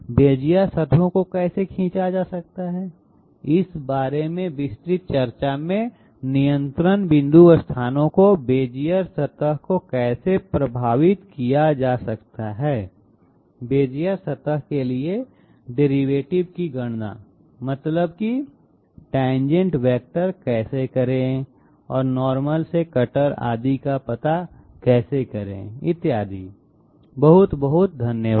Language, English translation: Hindi, In detailed discussions about you know how Bezier surfaces can be drawn, how the control point locations can affect the Bezier surface, how to calculate the derivatives that means the tangent vectors to the Bezier surface and from that how to find out the normal, from the normal how to locate the cutter, etc, thank you very much